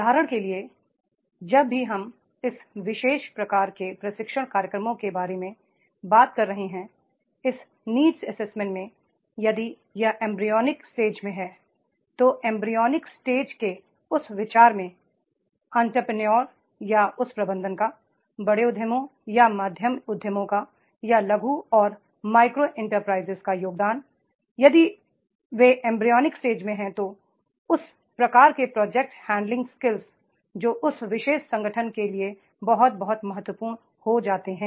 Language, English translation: Hindi, For example, whenever we are talking about this particular type of the training programs in these needs assessment if it is at the embryonic stage then at the embryonic stage the contribution to that idea of that entrepreneur or that management larger enterprises or the medium enterprises are small and micro enterprises if they are at the embryonic stage then that type of the project handling scales that becomes very very important for particular organization is there